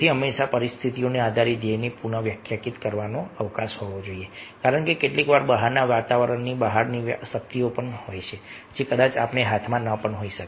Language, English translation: Gujarati, so always there should be a scope to define, redefined the goal, depending on the situation, because sometimes the there there are outside environment, outside forces which might not be in our hand